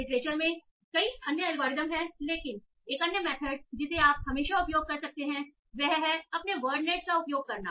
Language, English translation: Hindi, They are many other algorithms related literature but but one other method that you can always use is to use your word net